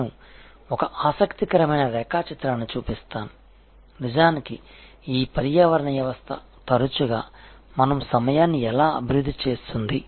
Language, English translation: Telugu, I will end one interesting diagram, that is how actually this ecosystem often develop our time